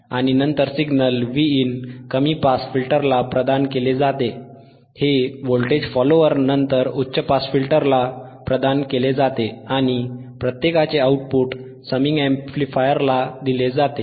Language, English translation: Marathi, And then the signal Vin is provided the signal Vin is provided to low pass filter, it is provided to high pass filter, followed by voltage follower and the output of each is fed output here you have see this output is fed output is fed to the summing amplifier right